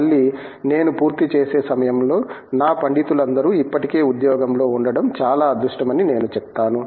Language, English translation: Telugu, Again, I would say I have been very lucky that all my scholars at the time of finishing have been already placed in a job